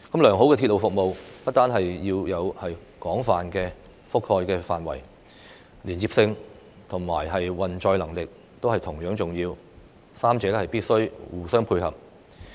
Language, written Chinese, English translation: Cantonese, 良好的鐵路服務不單要有廣泛的覆蓋範圍，連接性和運載能力亦同樣重要，三者必須互相配合。, In addition to wide coverage connectivity and carrying capacity are also important for good railway services and the three elements must complement one another